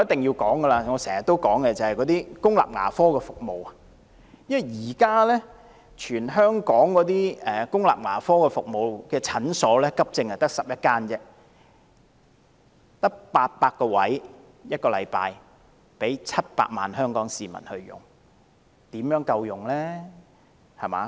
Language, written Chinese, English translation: Cantonese, 現時在全港公立牙科診所中，只有11間提供急症服務，名額每星期只有800個，供700萬名香港市民使用，試問又怎會足夠呢？, At present among all the public dental clinics in Hong Kong only 11 provide emergency service . The weekly quota is only 800 available for use by 7 million people of Hong Kong . How can it be sufficient?